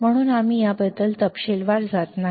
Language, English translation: Marathi, So, we I am not going into detail about this